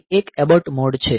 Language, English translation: Gujarati, Then there is an abort mode